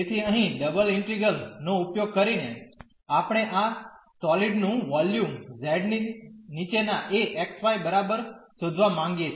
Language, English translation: Gujarati, So, here the using the double integrals, we want to find the volume of the solid below this z is equal to x y